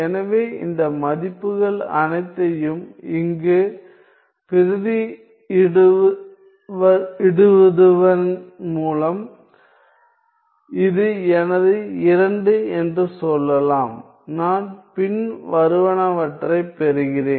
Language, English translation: Tamil, So, substituting all these values here let us say this is my 2; I get the following